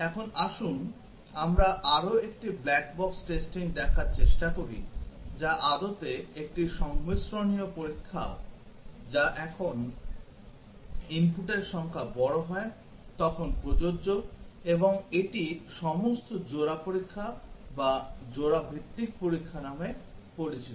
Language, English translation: Bengali, Now, let us try to look at one more black box testing which is also a combinatorial testing applicable when the number of input is large is known as all Pair testing or Pair wise testing